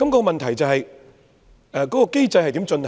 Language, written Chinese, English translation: Cantonese, 問題是這個機制如何進行？, The problem is how the mechanism is invoked